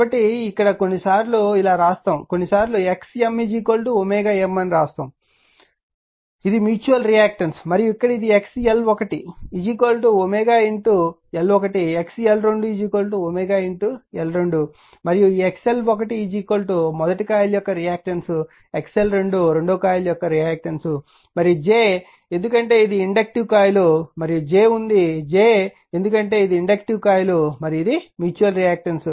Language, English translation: Telugu, And here this one is equal to your x l 2 is equal to omega L 2 and this one your x l 1 is equal to omega reactance of coil 1 reactance of coil 2 and j is the because it inductive coil and this is j is there because it is inductive coil and this is your mutualreactance right